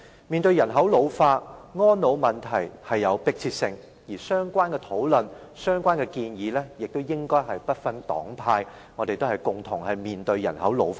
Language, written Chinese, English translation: Cantonese, 面對人口老化，安老問題迫切，相關討論和建議亦應該不分黨派，因為我們是共同面對人口老化的。, In face of the ageing population elderly care has become a pressing problem . We should conduct related discussions and make proposals irrespective of political parties and groups because we are facing the ageing population together